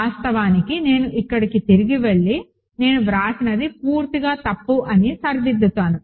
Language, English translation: Telugu, Actually, I go back here and make a correction this is completely wrong what I wrote